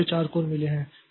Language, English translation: Hindi, So I have got four course